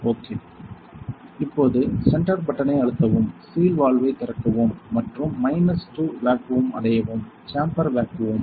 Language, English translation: Tamil, When the, so press the center button, open the seal valve and reach the minus 2 vacua; chamber vacuum